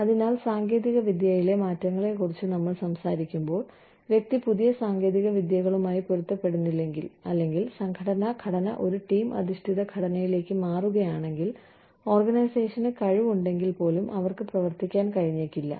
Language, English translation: Malayalam, So, when we talk about, you know, technology changing, unless the person is adaptable to new technologies, or, if the organizational structure changes, from hierarchical structure, to a team based flatter structure, if the organization is capable, they may not be able to function